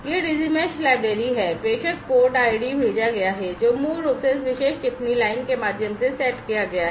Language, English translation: Hindi, This is the Digi Mesh library, the sender port id is sent is set basically through this particular comment line